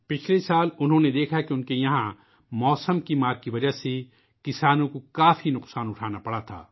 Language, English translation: Urdu, Last year he saw that in his area farmers had to suffer a lot due to the vagaries of weather